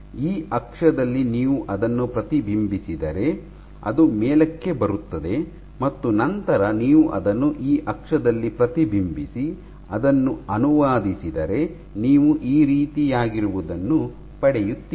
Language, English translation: Kannada, So, if you reflect it about this axis, it will come up and then you reflect it about that axis and translate it then you will get this